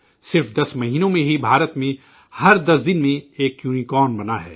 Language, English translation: Urdu, In just 10 months, a unicorn is being raised in India every 10 days